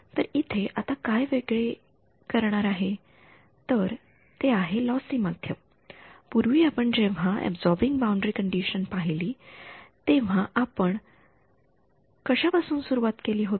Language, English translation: Marathi, So, what is different is it is a lossy medium; previously when we had looked at absorbing boundary condition what did we start with